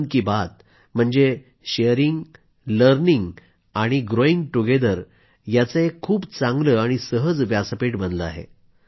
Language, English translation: Marathi, Mann Ki Baat has emerged as a fruitful, frank, effortless & organic platform for sharing, learning and growing together